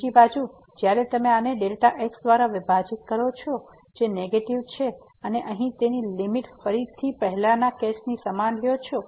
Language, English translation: Gujarati, On the other hand when you divide this by which is negative and take the limit again the same similar case here